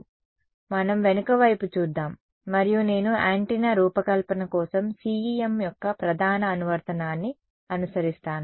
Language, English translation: Telugu, Right so, let us have a look at the back and I follow the major application of CEM for antenna design right